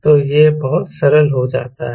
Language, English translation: Hindi, so this becomes very simple